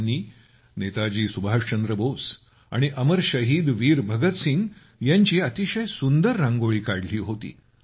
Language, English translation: Marathi, He made very beautiful Rangoli of Netaji Subhash Chandra Bose and Amar Shaheed Veer Bhagat Singh